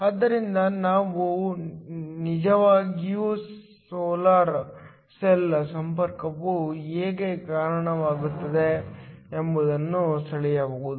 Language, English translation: Kannada, So, we can actually draw how the solar cell connection looks